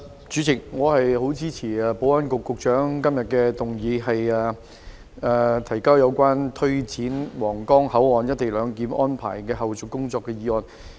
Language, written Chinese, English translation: Cantonese, 主席，我支持保安局局長今天動議有關推展皇崗口岸「一地兩檢」安排的後續工作的議案。, President I support the motion moved by the Secretary for Security on taking forward the follow - up tasks of implementing co - location arrangement at the Huanggang Port